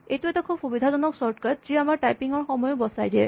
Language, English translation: Assamese, This is a very convenient shortcut which allows us to save some typing